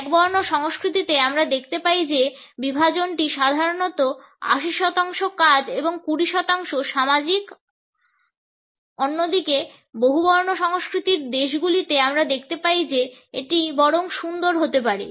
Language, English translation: Bengali, In monochronic cultures we find that the division is typically 80 percent task and 20 percent social, on the other hand in polychronic countries we find that it may be rather cute